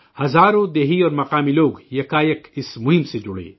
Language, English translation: Urdu, Thousands of villagers and local people spontaneously volunteered to join this campaign